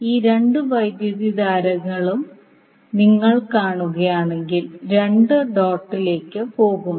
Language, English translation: Malayalam, So if you see these two currents, both are going inside the dot